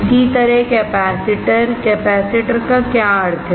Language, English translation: Hindi, Similarly, capacitors; what does capacitor means